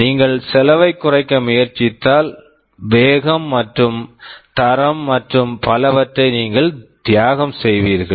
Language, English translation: Tamil, If you try to reduce the cost you will be sacrificing on the speed and quality and so on